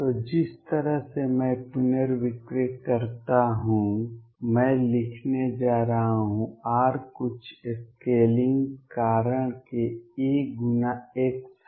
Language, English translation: Hindi, So, the way I rescale is I am going to write r is equal to some scaling factor a times x